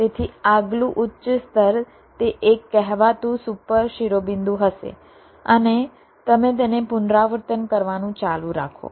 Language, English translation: Gujarati, so the next higher level, that single so called super vertex, will be there, and you go on repeating this